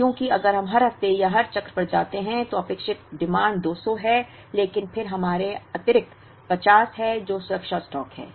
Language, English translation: Hindi, Because if we take every week or every cycle, the expected demand is 200 but then we have an additional 50 which is the safety stock